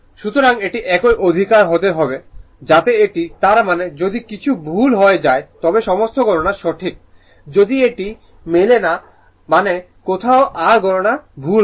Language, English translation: Bengali, So, it has to be same right so that so this; that means, all calculations are correct if something goes wrong if it is not matching means somewhere your calculation is wrong right